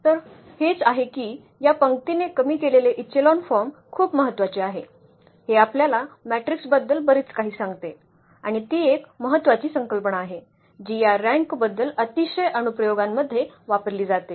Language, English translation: Marathi, So, this that is that is what this row reduced echelon form is very important, it tells us lot about the matrix and that is one important concept which is used at very applications about this rank